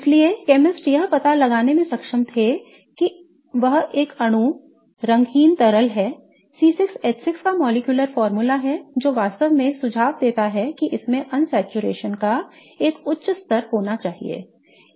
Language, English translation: Hindi, So, chemists were able to figure out that this is a molecule colorless liquid has a molecular formula of C6H6 which really suggests that it should have a high degree of unsaturation